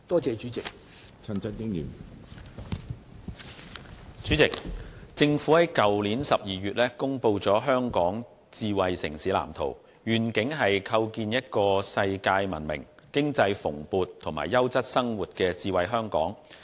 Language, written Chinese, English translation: Cantonese, 主席，政府在去年12月公布《香港智慧城市藍圖》，願景是構建一個世界聞名、經濟蓬勃及優質生活的智慧香港。, President the Government released the Hong Kong Smart City Blueprint in December last year with the vision to build a smart Hong Kong that is world - renowned and economically prosperous with a high quality of living